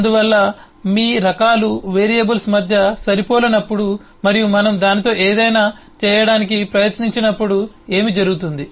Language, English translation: Telugu, so that’s what happens when your types mismatch between variables and when we try to do something with that